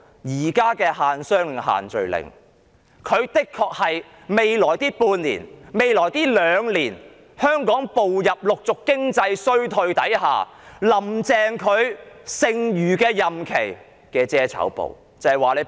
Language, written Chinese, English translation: Cantonese, 現時的限商令及限聚令的確是未來半年甚或兩年間香港逐漸步入經濟衰退時"林鄭"在剩餘任期內的遮醜布。, The existing business and social gathering restrictions can honestly serve as a fake leaf for Carrie LAM during the remainder of her tenure or at the onslaught of a gradual economic downturn in Hong Kong in the half year or even two years ahead